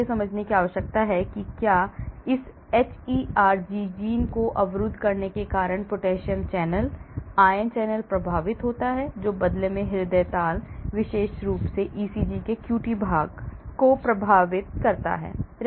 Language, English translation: Hindi, so you need to understand whether the potassium channel, ion channel gets affected because of blocking of this hERG gene which in turn affects the cardiac rhythm, especially the QT portion of the ECG